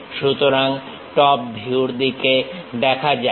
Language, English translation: Bengali, So, let us look at top view